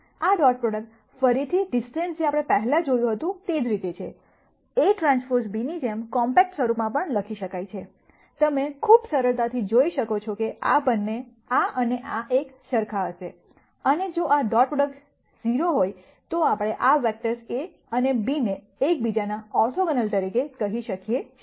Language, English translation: Gujarati, This dot product again much like the distance that we saw before, can also be written in a compact form as a transpose B you can quite easily see that this and this will be the same, and if this dot product turns out to be 0 then we call this vectors A and B as being orthogonal to each other